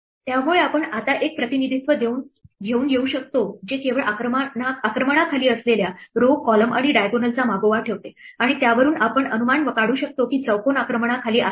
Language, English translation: Marathi, So, we can now come up with a representation which only keeps track of rows, columns and diagonals which are under attack and from that we can deduce, whether a square is under attack